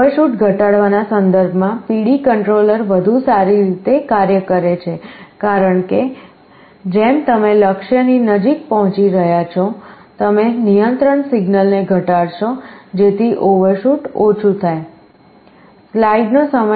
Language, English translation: Gujarati, PD controller works better in terms of reducing overshoot because as you are approaching the goal faster, you reduce the control signal so that overshoot will be less